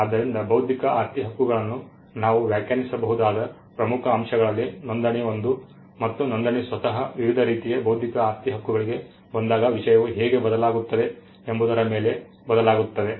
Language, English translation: Kannada, So, registration is one of the key elements by which we can define intellectual property rights and registration itself varies just how the subject matter varies when it comes to different types of intellectual property rights